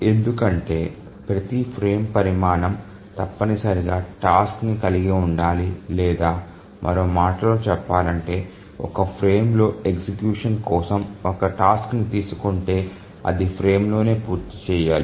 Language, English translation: Telugu, If you remember why this is so, it's because every frame size must hold the task or in other words, if a task is taken up for execution in a frame, it must complete within the frame